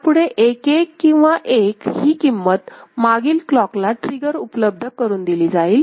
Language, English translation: Marathi, So, the value 1 1 or 1, it is made available in the previous clock trigger itself right